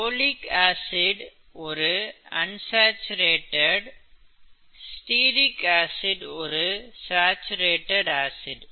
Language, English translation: Tamil, Oleic, as you know has one unsaturation, stearic acid, has no unsaturation